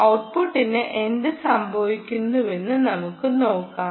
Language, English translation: Malayalam, let us see what happens with the output